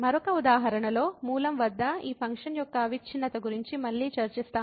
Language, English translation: Telugu, Another example we will discuss the continuity of this function again at origin